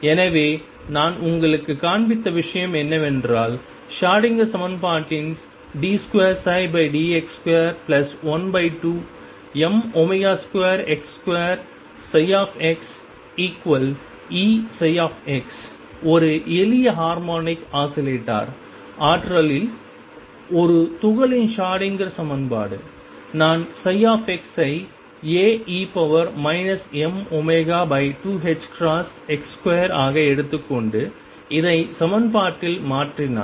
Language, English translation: Tamil, So, what I have shown you is that in the Schrodinger equation d 2 psi by d x square plus one half m omega square x square psi x equals E psi x the Schrodinger equation for a particle in a simple harmonic oscillator potential, if I take psi x to be A e raised to minus m omega over 2 h cross x square and substitute this in the equation